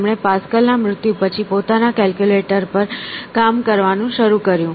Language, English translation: Gujarati, He started to work on his own calculator after Pascal's death